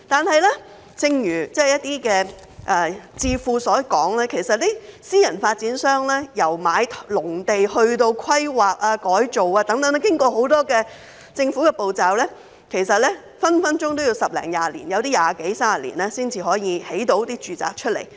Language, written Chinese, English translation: Cantonese, 不過，正如一些智庫所說，私人發展商由購買農地至規劃、改造，要經過很多政府程序，隨時要花十多二十年，有部分更要二十多三十年才可以建屋出售。, However as some think tanks have said private developers have to go through many government procedures from the purchase of agricultural land to planning and rezoning . It can easily take them 10 to 20 years and in some cases 20 to 30 years before they can build housing units for sale